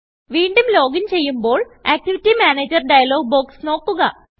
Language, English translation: Malayalam, Check the Activity Manager dialog box again when you login